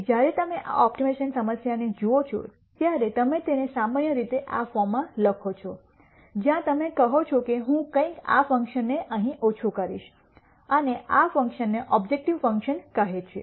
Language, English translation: Gujarati, So, when you look at this optimization problem you typically write it in this form where you say I am going to minimize something, this function here, and this function is called the objective function